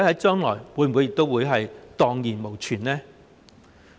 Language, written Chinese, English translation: Cantonese, 將來會否蕩然無存呢？, Will it collapse completely?